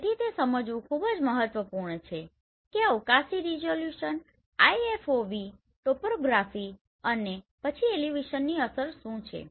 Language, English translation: Gujarati, So it is very important to understand what is the effect of spatial resolution and IFOV and topography and then elevation right